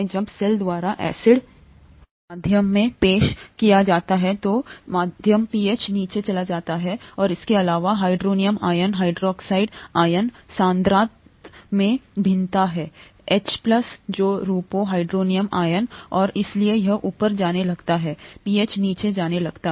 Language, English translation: Hindi, When acid is introduced into the medium by the cell, the medium pH goes down further, the hydronium ion, hydroxide ion concentrations vary; H plus which forms hydronium ions and therefore this starts going up, the pH starts going down